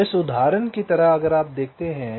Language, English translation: Hindi, so like in this example, if you look at